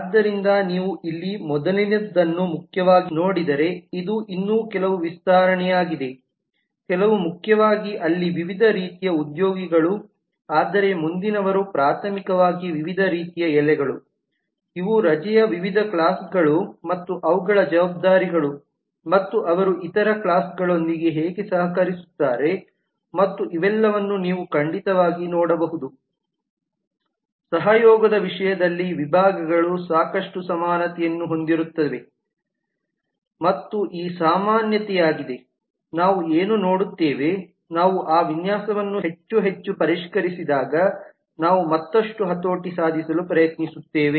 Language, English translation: Kannada, so this is just some more extension if you actually look into the earlier here primarily the first few, primarily where the different kinds of employees whereas in the next these are primarily different types of leave, these are the different categories of leave and their responsibilities and how they collaborate with other classes and you can certainly see that all of these categories will have lot of community in terms of the collaboration and this community is what we will see, we will try to leverage further when we refine that design more and more